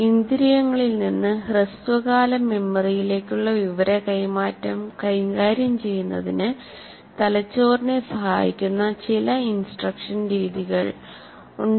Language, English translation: Malayalam, Some of the instructional methods that facilitate the brain in dealing with information transfer from senses to short term memory